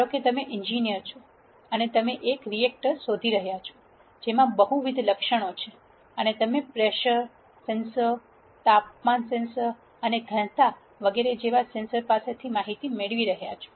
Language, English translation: Gujarati, Let us consider that you are an engineer and you are looking at a reactor which has multiple attributes and you are getting information from sensors such as pressure sensors, temperature sensors and density and so on